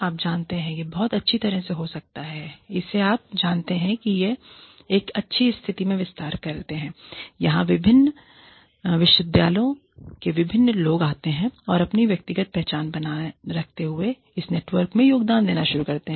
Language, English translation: Hindi, You know, it could, very well be, that this sort of, you know, expands into a situation where, different people in different universities, come and start contributing to this network, while retaining their individual identities